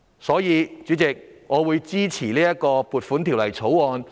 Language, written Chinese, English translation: Cantonese, 所以，主席，我支持盡快通過《2020年撥款條例草案》。, Therefore President I support the passage of the Appropriation Bill 2020 without delay